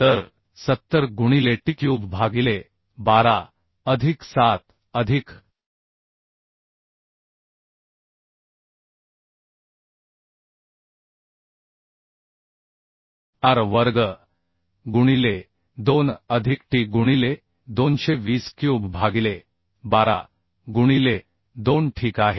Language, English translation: Marathi, So 70 into t cube by 12 plus ar square into 2 plus t into 220 cube by 12 into 2 ok